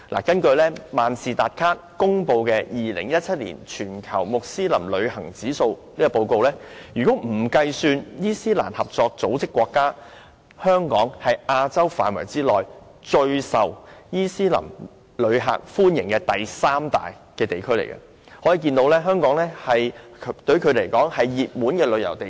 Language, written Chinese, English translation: Cantonese, 根據萬事達卡公布的 "2017 年全球穆斯林旅行指數"，若不計算伊斯蘭合作組織的成員國，香港是亞洲區內最受穆斯林旅客歡迎的第三大地區，可見香港是他們的熱門旅遊地點。, According to the Global Muslim Travel Index 2017 released by Mastercard excluding the member states of the Organisation of Islamic Cooperation Hong Kong was the third most popular place for Muslim visitors in Asia . It is thus evident that Hong Kong is their favourite destination for travel